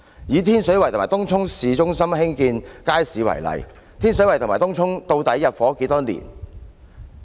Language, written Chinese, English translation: Cantonese, 以天水圍和東涌市中心興建街市為例，天水圍和東涌究竟入伙多少年了？, Take the construction of markets in Tin Shui Wai and Tung Chung Town Centre as examples . How many years have passed since the residents first moved into Tin Shui Wai and Tung Chung?